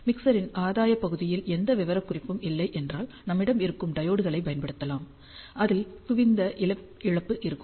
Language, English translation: Tamil, If the mixer does not have any specification on the gain part, we can use diodes in that case we will have convergent loss